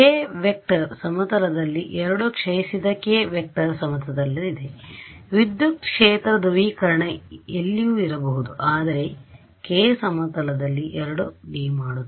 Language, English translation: Kannada, It in the plane the k vector is in the plane in the 2 decays k vector is in the plane, the electric field polarization can be anywhere does not matter, but k is in the plane that is what makes it a 2D